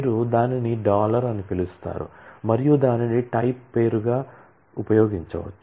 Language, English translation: Telugu, you can call it dollar and then use that as a type name